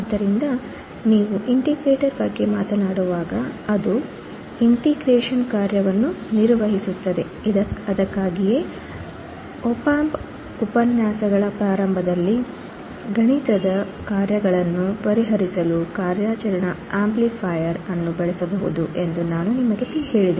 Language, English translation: Kannada, So, when you talk about the integrator, it performs the function of integration that is why in the starting of the op amp lectures, I told you the operational amplifier can be used to solve the mathematical functions